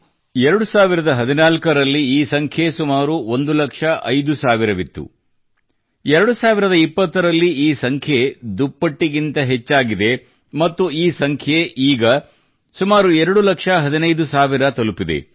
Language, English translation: Kannada, In 2014, while their number was close to 1 lakh 5 thousand, by 2020 it has increased by more than double and this number has now reached up to 2 lakh 15 thousand